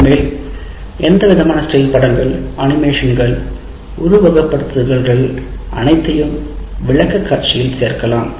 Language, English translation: Tamil, And on top of that, any kind of still pictures, animations, simulations can all be included in the presentation